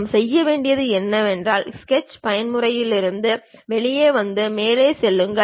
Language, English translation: Tamil, Then what we have to do is, come out of Sketch mode, go there top